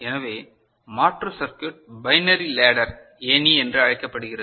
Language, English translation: Tamil, So, for the alternate circuit what we have is called binary ladder ok